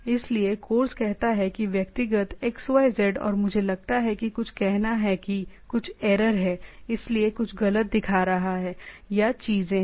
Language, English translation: Hindi, So, course says personal xyz and I think something is there say there is some error so that is showing something some wrong or things are there